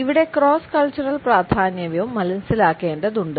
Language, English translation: Malayalam, The cross cultural significance also has to be understood